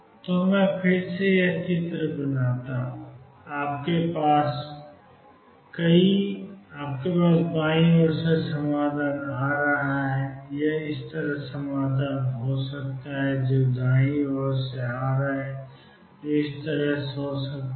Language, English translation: Hindi, So, again let me make this picture and you have a solution coming from the left it could be like this solution coming from the right which could be like this